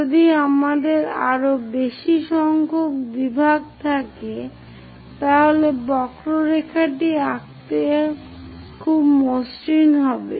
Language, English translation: Bengali, If we have more number of divisions, the curve will be very smooth to draw it